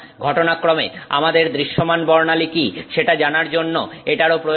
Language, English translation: Bengali, Incidentally, it's also useful to know what is our visible spectrum